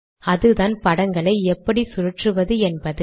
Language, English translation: Tamil, That is how to rotate these figures